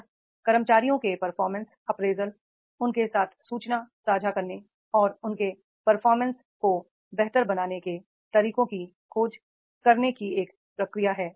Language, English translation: Hindi, It is the process of evaluating the performance of employees sharing that information with them and searching for ways to improve their performance